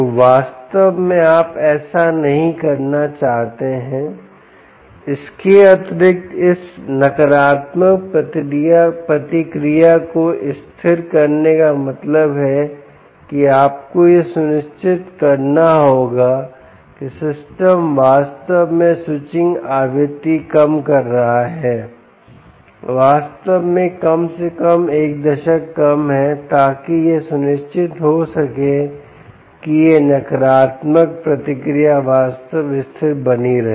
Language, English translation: Hindi, moreover, this negative feedback to be stable means you have to ensure that the system indeed is switching lower the switching frequency is indeed at least a decade lower in order to ensure that this negative feedback keeps the actual remains stable